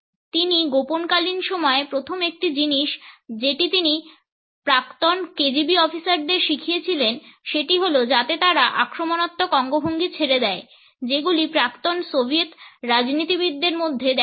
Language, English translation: Bengali, He has told the mask out times one of the first things he taught the former KGB officer was just quit using the type of the aggressive gestures you will see in former Soviet politicians